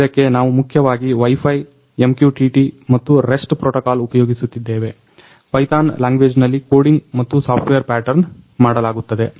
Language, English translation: Kannada, So, for this we are using mainly Wi Fi, MQTT and the rest protocol the coding and software pattern done in the Python language